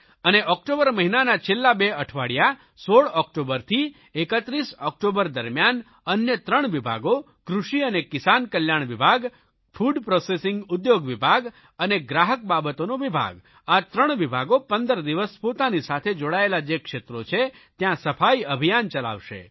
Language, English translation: Gujarati, Then during last two weeks of October from 16th October to 31st October, three more departments, namely Agriculture and Farmer Welfare, Food Processing Industries and Consumer Affairs are going to take up cleanliness campaigns in the concerned areas